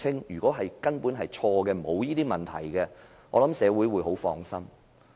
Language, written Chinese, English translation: Cantonese, 如果查清楚根本沒有這些問題，我想社會會很放心。, I think the public can have a peace of mind if such problems are proved groundless after the Government has conducted the investigation